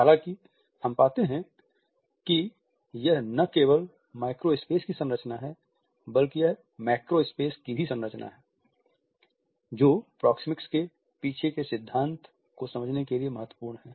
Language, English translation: Hindi, However, we find that it is not only the structuring of the micro space, but it is also the structuring of the micro space which is important to understand the principle behind proxemics